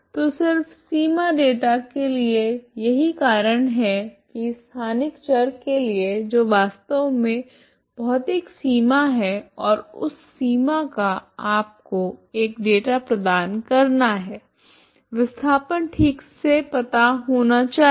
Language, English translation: Hindi, So just for the boundary data that is why for the spatial variable that is actually physical boundary and that boundary you provide a data you should, the displacement should be known ok